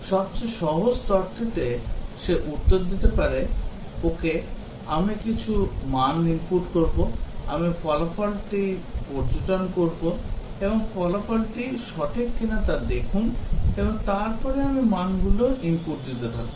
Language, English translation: Bengali, The simplest level he may give an answer that okay, I will input some values, I will observe the result and see if the result is correct or not and then I will keep on inputting values